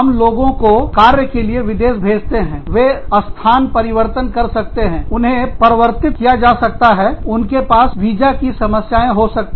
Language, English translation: Hindi, When people are sent abroad on assignments, they may change positions, they may get promoted, they may have visa issues